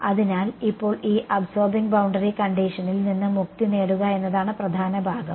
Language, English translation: Malayalam, So, now the key part is to get rid of this absorbing boundary condition